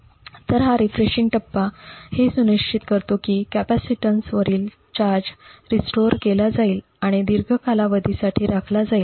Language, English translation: Marathi, So, this refreshing phase ensures that the charge on the capacitance is restored and maintained for a longer period